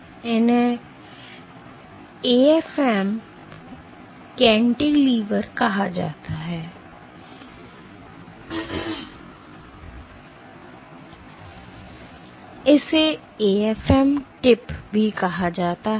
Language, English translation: Hindi, So, this is called a AFM cantilever, and this is called an AFM tip, it is called an AFM tip